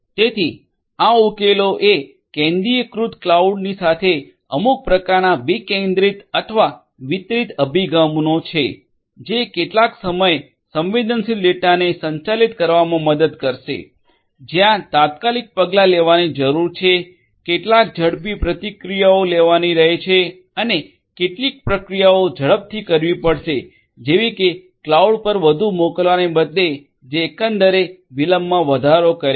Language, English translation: Gujarati, So, the solution is to have some kind of a decentralized or distributed approach along with the centralized cloud, which will help in handling some time sensitive data, where immediate actions will have to be taken some quicker responses will have to be taken and some processing will have to be done faster instead of sending everything at the cloud which will overall increase the latency